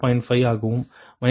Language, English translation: Tamil, so zero minus one